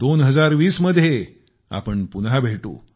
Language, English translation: Marathi, We will meet again in 2020